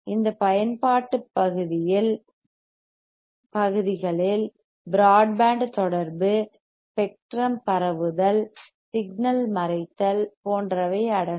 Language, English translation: Tamil, These application areas includes broadband combinationmunication, spectrum spreading, signal masking etcetera right